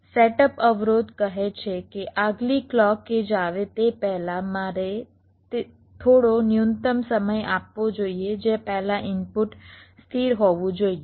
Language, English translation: Gujarati, but the setup constraints says that before the next clock edge comes, so i must be giving some minimum time before which the input must be stable